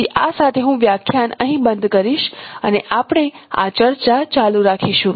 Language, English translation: Gujarati, So with this I will stop my lecture, this lecture here and we will continue this discussion